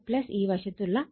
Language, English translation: Malayalam, 5 so, 8